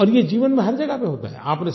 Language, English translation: Hindi, And this happens everywhere in life